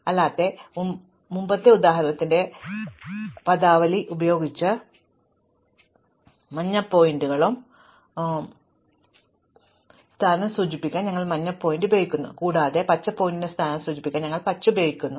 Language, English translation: Malayalam, Otherwise, using the terminology of the previous example, we use the yellow to indicate the position of the yellow pointer and we use green to indicate the position of the green pointer